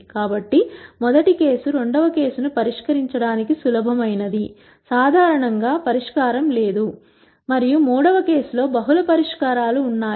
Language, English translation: Telugu, So, the first case is the easiest to solve the second case does not have solution usually, and the third case has multiple solutions